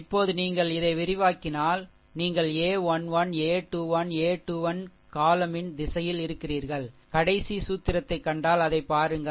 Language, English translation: Tamil, Now, if you if you expand this, if you expand this, you are in the in the direction of the your column a 1 1, a 2 1, a 3 1 and look it is if the if you see the last formula